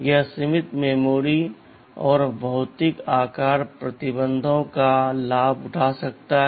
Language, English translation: Hindi, TSo, this can take advantage of limited memory and physical size restrictions